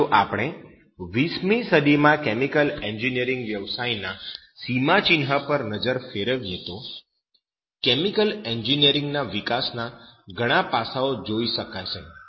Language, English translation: Gujarati, Now, if we looked back on that milestone of that chemical engineering profession in the 20th century will see that several aspects of chemical engineering development